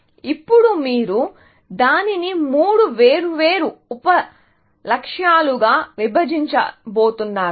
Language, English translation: Telugu, Now, you are going to break it up into three separate sub goals